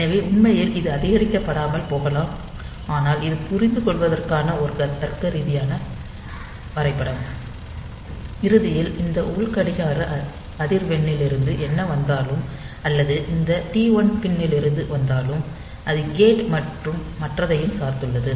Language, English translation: Tamil, So, it in reality in inside it might not be incremented like this, but this is a logical diagram for understanding, and ultimately whatever whether it comes from this internal clock frequency, or from this T 1 pin it is dependent on gate and all those things ultimately the clock reaches this timer